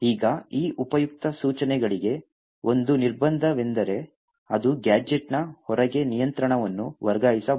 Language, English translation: Kannada, Now one restriction for these useful instructions is that it should not transfer control outside the gadget